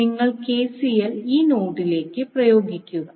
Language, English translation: Malayalam, So, if you applied KCL apply to this particular node